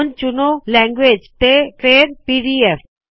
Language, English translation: Punjabi, Let us choose language and then PDF